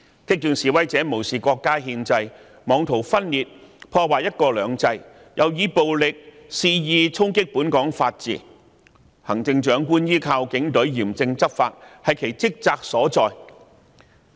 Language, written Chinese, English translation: Cantonese, 激進示威者無視國家憲制，妄圖分裂、破壞"一國兩制"，又以暴力肆意衝擊本港法治，行政長官依靠警隊嚴正執法，是其職責所在。, The radical protesters defy the Constitution of China . They want to secede and attempt in vain to undermine one country two systems . They use violence to wantonly undermine the rule of law in Hong Kong